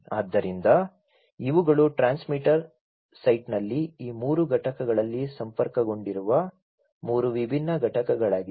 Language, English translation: Kannada, So, these are the three different components that are connected at the transmitter site these three components